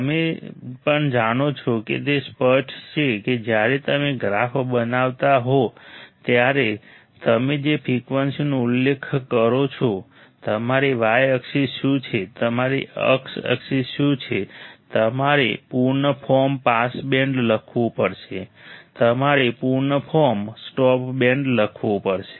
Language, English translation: Gujarati, Even you know it is obvious that is the frequencies still you have mention when you are plotting a graph, what is your y axis, what is your x axis you have to write full form pass band, you have to write full form stop band ok